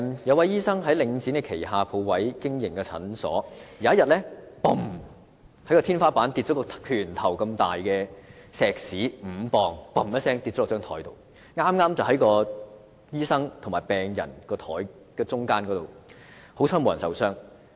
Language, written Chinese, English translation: Cantonese, 有醫生在領展旗下鋪位經營診所，有一天，天花板掉下一塊拳頭般大小、重5磅的石屎，剛好掉在醫生與病人之間的桌面上，幸好沒有人受傷。, In a clinic operating on a shop premises under Link REIT a fist - sized piece of concrete weighing five pounds fell from the ceiling and landed exactly on a table placed between the medical practitioner and his patient . Fortunately no one was hurt